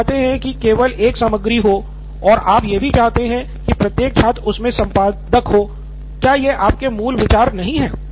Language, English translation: Hindi, So you want that to be the only content and but you want also students to sort of, let be editor, is not that what your original idea was